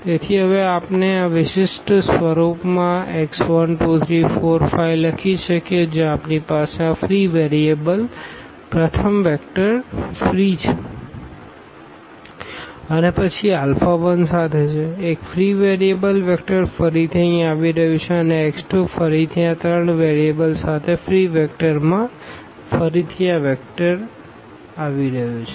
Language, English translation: Gujarati, So, we can write down now these x 1, x 2, x 3, x 4 and x 5 in this particular form where we have first vector free from these free variables and then this is with alpha 1, the one free variable the vector again coming here and x 2 again this free vector with this three variable again this vector is coming up